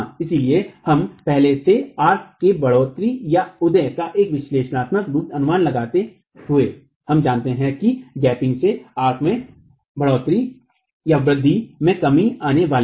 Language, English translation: Hindi, So, we were earlier making an estimate of an analytical estimate of what the rise of the arch was, we know that the gaping is going to lead to a reduction in the rise of the arch